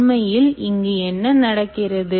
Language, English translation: Tamil, so what is actually happening